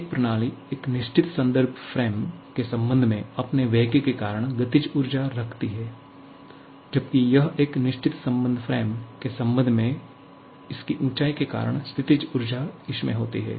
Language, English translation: Hindi, A system possesses kinetic energy because of its velocity with respect to a certain reference frame whereas; it can possess potential energy because of its elevation with respect to a certain reference frame